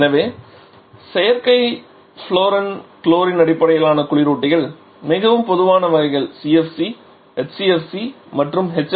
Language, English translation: Tamil, So, synthetic fluorine chlorine based refrigerants are the most common types you probably remember that we have used the terms CFC, HCFC and HFC